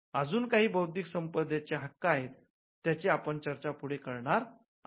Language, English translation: Marathi, And there are other intellectual property rights which we will discuss in some detail as we go by